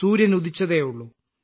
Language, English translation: Malayalam, Well, the sun has just risen